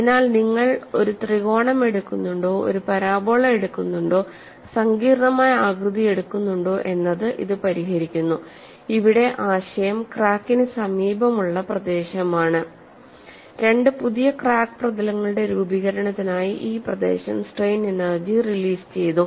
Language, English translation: Malayalam, So, this absolves whether you take a triangle, whether you take a parabola, whether you take a complicated shape, the idea here is the region near the crack has release some part of the strain energy for the formation of two new crack surfaces; and why we look at the relaxation analogy